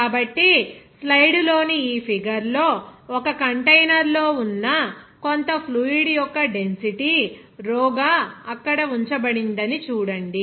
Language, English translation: Telugu, So, here see in this figure in the slide to see that in a container some amount of fluid whose density is rho is kept there